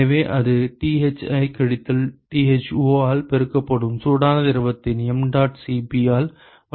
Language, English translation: Tamil, So, that is given by mdot Cp of the hot fluid multiplied by Thi minus Tho ok